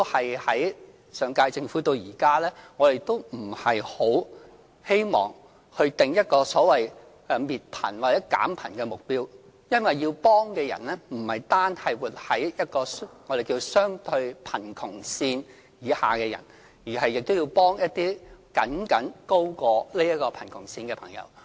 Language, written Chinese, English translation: Cantonese, 由上屆政府到現屆政府，我們都不希望訂立一個所謂滅貧或減貧的目標，因為要幫助的人不只是活在相對貧窮線以下的人，還要幫助一些僅僅高過貧窮線的市民。, The Government of the current term as well as the one of the last term has no intention to set a target for eradicating or alleviating poverty . It is because the Scheme is aimed at helping people living below the poverty line as well as those living just above it